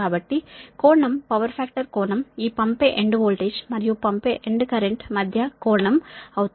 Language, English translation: Telugu, so angle, the power factor angle will be angle between this sending end voltage and this sending end current